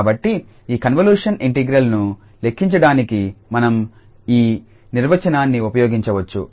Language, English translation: Telugu, So, we can use this definition to compute this convolution integral